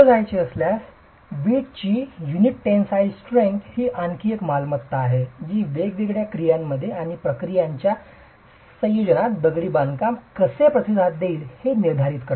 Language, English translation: Marathi, Moving on, tensile strength of the brick unit is another property that determines how the masonry is going to respond under different actions and combination of actions